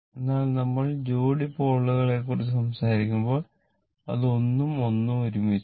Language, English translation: Malayalam, But when you are talking about pair of poles, it is 1 and 1 together